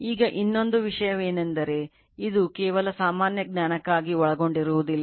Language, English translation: Kannada, Now, then another thing this will not cover just for general knowledge